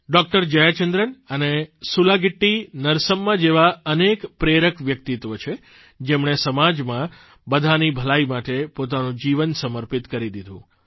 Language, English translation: Gujarati, Jaya Chandran and SulagittiNarsamma, who dedicated their lives to the welfare of all in society